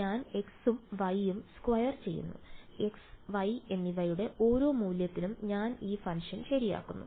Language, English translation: Malayalam, I am just squaring x and y and at each value of x and y I am plotting this function ok